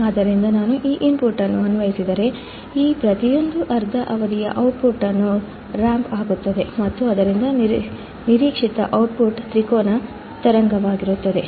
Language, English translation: Kannada, So, if I apply this input, the output for each of these half period would be ramped and thus the expected output would be triangular wave